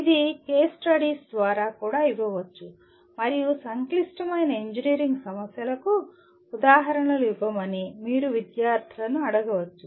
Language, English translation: Telugu, This also can be given through case studies and you can ask the students to give examples of complex engineering problems